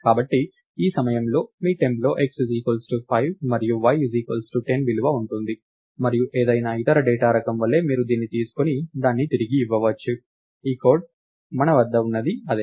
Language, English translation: Telugu, So, at this point your temp has the value 5 for x and 10 for y and just like any other data type, you can take this and return it, thats what we have in this piece of code